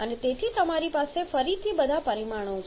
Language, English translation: Gujarati, And hence you have again all the parameters okay